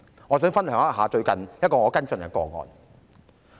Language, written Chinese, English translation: Cantonese, 我想與大家分享我最近跟進的個案。, I would like to share with Members a case recently followed up by me